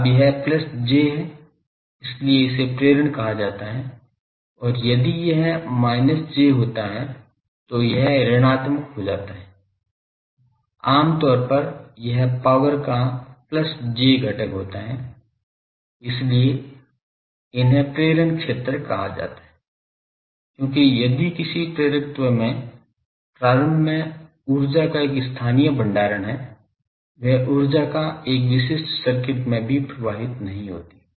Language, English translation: Hindi, Now, that is plus j so, that is why it is called inductive and if it turns out to be minus j it becomes negative usually it is a plus j component of power that is why they are called inductive fields as, if in an inductor there is a locally storage of energy that energy does not flow in a typical circuit also